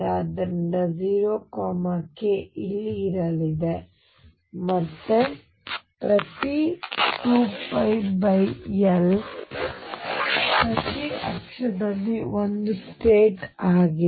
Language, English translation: Kannada, So, 0 k is going to be here again every 2 pi by L there is one state on each axis